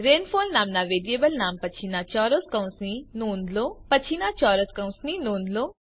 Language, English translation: Gujarati, Note the square braces after the variable name rainfall